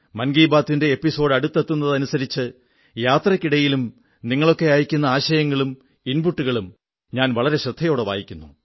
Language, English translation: Malayalam, Andas the episode of Mann Ki Baat draws closer, I read ideas and inputs sent by you very minutely while travelling